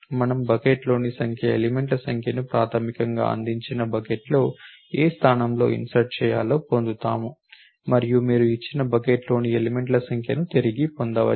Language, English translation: Telugu, We get the number of number elements in the bucket basically at what position it has to be inserted in the given bucket and you return the number of elements on the given bucket